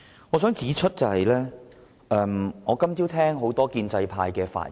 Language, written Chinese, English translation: Cantonese, 今天早上我聆聽了多位建制派議員的發言。, This morning I have been listening to the speeches made by a number of Members of the pro - established camp